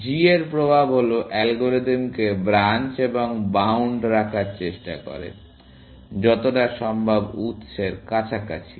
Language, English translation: Bengali, The effect of g is that tries to keep the algorithm like branch and bound, as close to source as possible